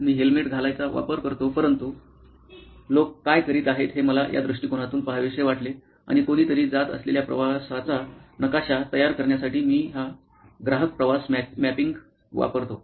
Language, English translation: Marathi, I use to wear a helmet, but what is it that people are going through I wanted to look at it from this perspective and I use this customer journey mapping to map that journey that somebody is going through